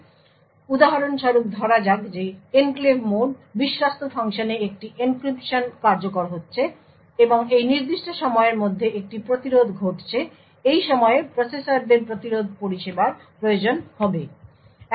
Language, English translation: Bengali, So, for example let us say that the enclave mode trusted function let say an encryption is executing and during this particular period an interrupt occurs during this time the processors would require to service the interrupt